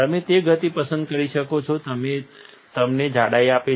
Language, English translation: Gujarati, You can select the speed which give you the thickness